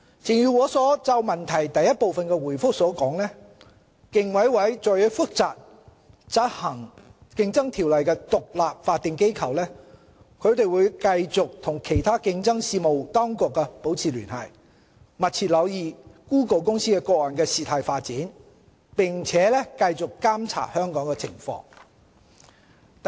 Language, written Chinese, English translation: Cantonese, 正如我就主體質詢第一部分所作的答覆，競委會作為負責執行《競爭條例》的獨立法定機構，會繼續與其他競爭事務當局保持聯繫，密切留意谷歌公司個案的事態發展，並繼續監察香港的情況。, As I have said in my reply to part 1 of the main question the Commission is an independent statutory body which enforces the Competition Ordinance and it will continue to liaise with other competition authorities closely monitor the development of the Google Inc case and continue to monitor the situation in Hong Kong